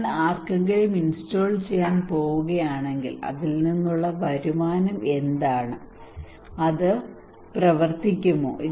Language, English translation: Malayalam, If I am going to install someone what is the return out of it, will it work